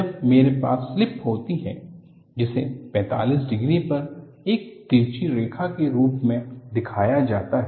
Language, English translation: Hindi, When I have slip that is shown as a slanted line at 45 degrees